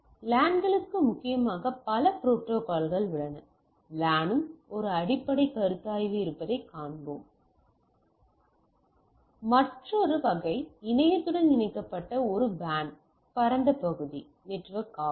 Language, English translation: Tamil, So, there are several protocols which are predominantly for the LANs, we will see that there is a basic consideration for LAN another category is a WAN Wide Area Network which is connect to the internet